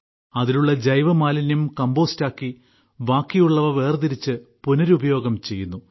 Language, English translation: Malayalam, The organic waste from that is made into compost; the rest of the matter is separated and recycled